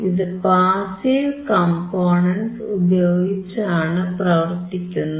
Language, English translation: Malayalam, This is using the passive components